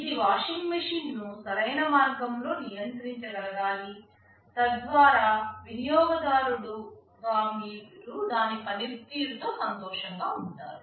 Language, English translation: Telugu, It should be able to control the washing machine in a proper way, so that as a user you would be happy with the performance